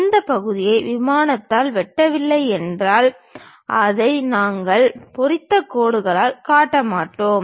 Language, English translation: Tamil, If that part is not cut by the plane, we will not show it by hatched lines